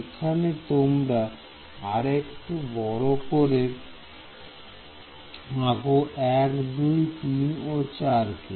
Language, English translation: Bengali, So, you draw it little bit bigger here 1 2 3 and 4